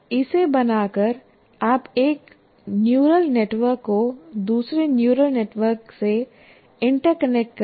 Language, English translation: Hindi, By creating this, once again, you are interconnecting one neural network to another neural network